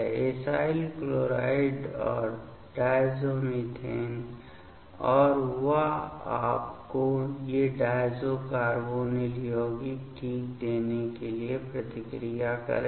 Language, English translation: Hindi, The acyl chlorides and diazomethane and that will react to give you these diazo carbonyl compound ok